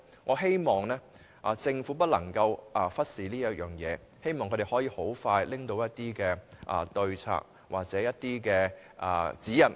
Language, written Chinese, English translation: Cantonese, 我希望政府不要忽視這方面的事宜，並盡快提出可供商業機構遵從的對策或指引。, I urge the Government not to overlook matters in this regard and expeditiously propose measures or guidelines for compliance by commercial organizations